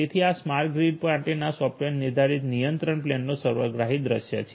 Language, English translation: Gujarati, So, this is the holistic view of this software defined control plane for the smart grid